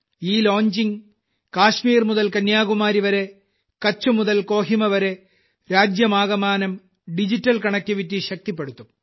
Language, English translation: Malayalam, With this launching, from Kashmir to Kanyakumari and from Kutch to Kohima, in the whole country, digital connectivity will be further strengthened